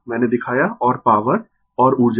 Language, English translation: Hindi, I showed you and power and energy right